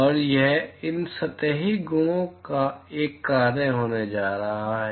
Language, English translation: Hindi, And it is going to be a function of these surface properties